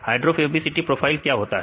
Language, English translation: Hindi, What is hydrophobicity profile